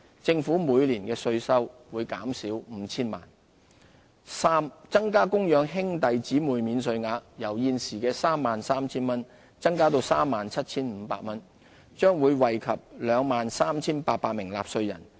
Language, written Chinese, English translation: Cantonese, 政府每年的稅收會減少 5,000 萬元；三增加供養兄弟姊妹免稅額，由現時 33,000 元增至 37,500 元，將惠及 23,800 名納稅人。, This measure will benefit 35 000 taxpayers and reduce tax revenue by 50 million a year; c raising the dependent brothersister allowance from the current 33,000 to 37,500